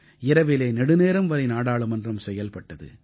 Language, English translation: Tamil, Often, Parliament functioned till late at night